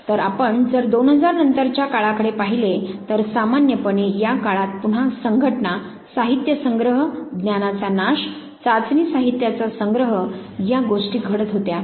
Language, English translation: Marathi, So, this was a time again if you look from 2000 onwards basically associations, collection of material decimation of knowledge collection of test materials these were the things that was taking place